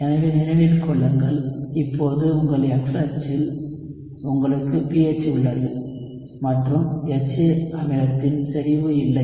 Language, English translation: Tamil, So remember, now on your X axis, you have pH and not concentration of the acid HA